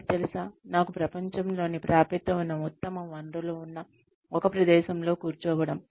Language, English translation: Telugu, You know, sitting in a place, where I have access to, the best resources in the world